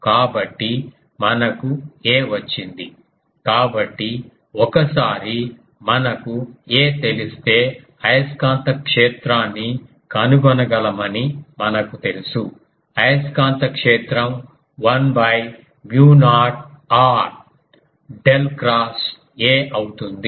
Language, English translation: Telugu, So, we have got a; so, once we got a we can we know we can find the magnetic field; magnetic field will be 1 by mu naught del cross A